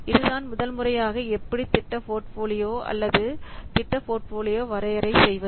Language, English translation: Tamil, So this is this first how to define the project portfolio or project portfolio definition